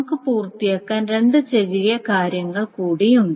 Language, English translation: Malayalam, We will have two more small things to cover